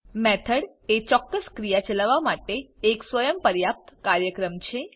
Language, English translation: Gujarati, A Method is a self contained program executing a specific task